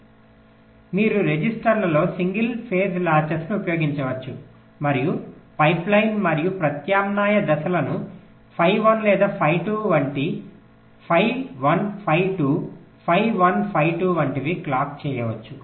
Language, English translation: Telugu, so this is what is mentioned here, so you can use single phase latches in the registers and the pipeline and alternate stages can be clocked by phi one or phi two, like phi one, phi two, phi one, phi two, like that